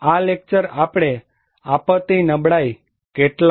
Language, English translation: Gujarati, This lecture, we will talk on disaster vulnerability, some concepts